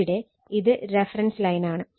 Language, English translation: Malayalam, So, here it is your reference line